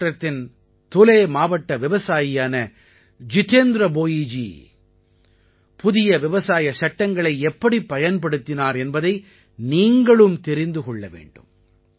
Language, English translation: Tamil, You too should know how Jitendra Bhoiji, a farmer from Dhule district in Maharashtra made use of the recently promulgated farm laws